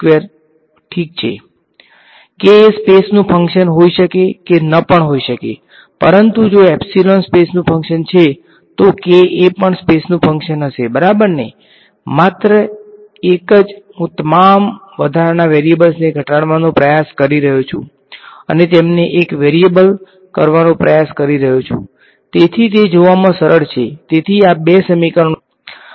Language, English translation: Gujarati, K may or may not be a function of space, but if like epsilon is a function of space, then k will also be a function of space ok, just a I am trying to reduce all the extra variables and condense them to one variable, so that is easy to see alright, so these are the two equation that we have got